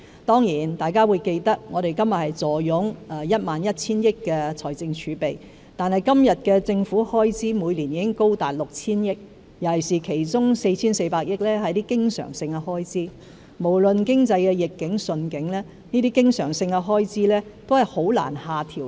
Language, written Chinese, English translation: Cantonese, 當然，大家會記得，我們坐擁 11,000 億元的財政儲備，但現時政府開支每年高達 6,000 億元，其中 4,400 億元是經常性開支，無論經濟逆境或順境，這些經常性開支都難以下調。, Of course Members will recall that we have a fiscal reserve of 1.1 trillion but the annual government expenditures are now up to 600 billion of which 440 billion are recurrent expenditures . Regardless of whether the economic situation is favourable or not it is difficult to reduce these recurrent expenditures